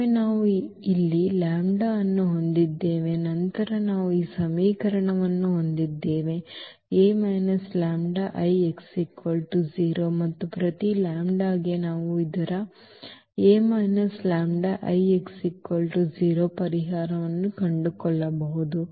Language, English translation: Kannada, Once we have the lambda here then we have this equation A minus lambda I x is equal to 0 and for each lambda we can find the solution of this A minus lambda I x is equal to 0